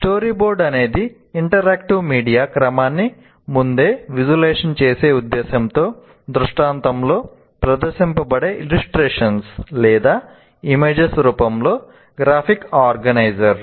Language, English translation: Telugu, A story board is a graphic organizer in the form of illustrations are images displayed in sequence for the purpose of pre visualizing an interactive media sequence